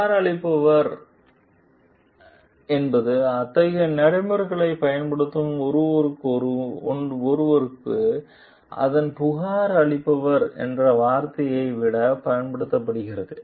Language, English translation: Tamil, Complainant is rather than the term its complainer is used for someone who uses such procedures